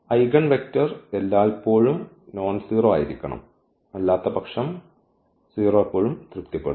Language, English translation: Malayalam, So, this is the eigenvector and this has to be always nonzero otherwise, the 0 will be satisfied always